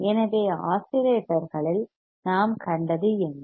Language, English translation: Tamil, So, what we have seen in oscillators